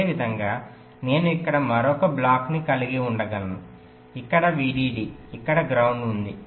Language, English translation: Telugu, let see, similarly i can have another block here, vdd here, ground here, something like this